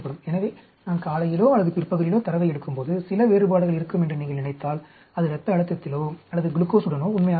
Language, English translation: Tamil, So, if you think there is going to be some differences when I take data in the morning or in the afternoon that is true with blood pressure or even with glucose